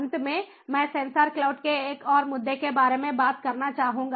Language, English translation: Hindi, and finally, i would like to talk about another issue of sensor cloud